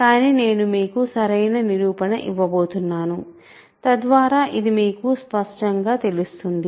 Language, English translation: Telugu, But I am just going to give you a direct proof, so that it becomes more clear to you